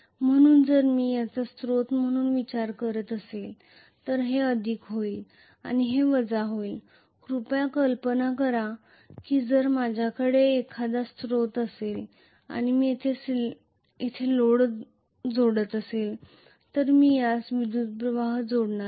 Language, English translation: Marathi, So if I am thinking of it as source this will be plus and this will be minus please imagine if I am going to have a source and I am connecting a load here I will be connecting the current like this